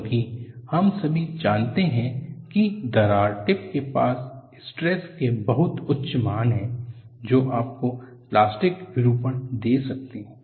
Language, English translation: Hindi, Because we all know near the crack tip, you have very high values of stresses that can give you plastic deformation